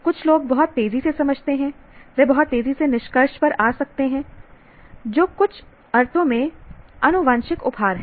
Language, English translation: Hindi, Some people understand very fast, they can come to conclusions very fast, that is in some sense is genetic gift you can say